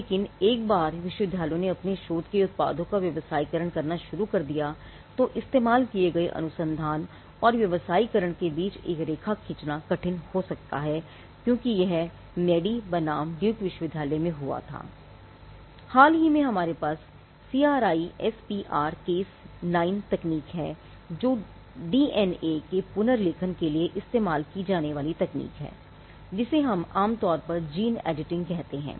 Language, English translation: Hindi, But once university start commercializing the products of their research; it may be hard to draw a line between research used and commercialization as it happened in Madey versus Duke University